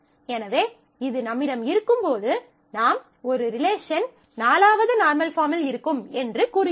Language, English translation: Tamil, So, when we have this, we say we are a relation would be in the in the 4th normal form